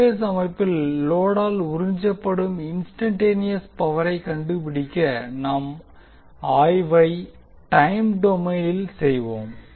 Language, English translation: Tamil, To find the instantaneous power absorbed by any load incase of the three phased system, we will do the analysis in the time domain